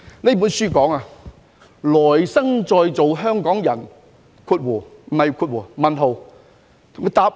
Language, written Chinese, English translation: Cantonese, 這本書題為《來生再做香港人？, This book is entitled Do you want to be a Hongkonger again in your next life?